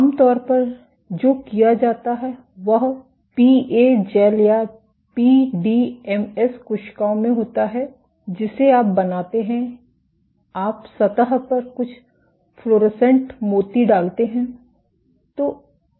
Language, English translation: Hindi, What is typically done is in the PA gels or PDMS cells that you fabricate, you put some fluorescent beads on the surface